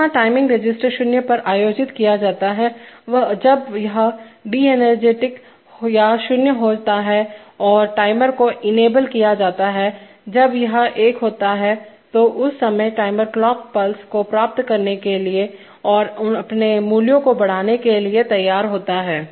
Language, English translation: Hindi, Where the timing register is held at zero, when it is de energized or zero and the timer is enabled when one, so at that time the timer is ready to receive the clock pulses and increment its values